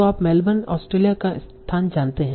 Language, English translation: Hindi, So you know the location here, Melbourne, Australia